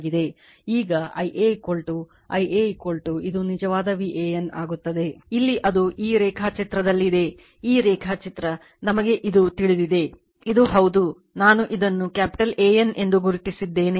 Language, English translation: Kannada, Now, I a is equal to your I a is equal to it will V a n actually, here it is at this diagram just hold on , this diagram , we know this , this is yeah I have marked it capital A N right